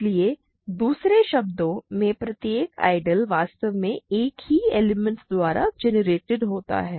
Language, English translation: Hindi, So, in other words every ideal I is in fact, generated by a single element